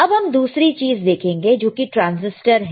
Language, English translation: Hindi, Now, let us see the another one which is the transistor